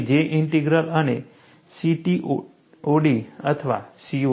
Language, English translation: Gujarati, They are J Integral and CTOD or COD